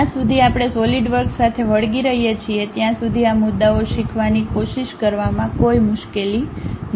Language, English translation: Gujarati, As long as we are sticking with Solidworks trying to learn these issues are not really any hassle thing